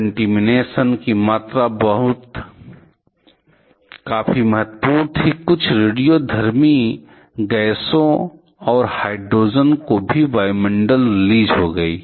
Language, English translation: Hindi, The amount of contamination was quite significant, some radioactive gases and also hydrogen are released to the atmosphere